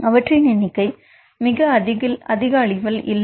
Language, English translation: Tamil, The numbers are not very high